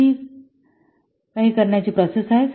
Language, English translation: Marathi, So this is the procedure to do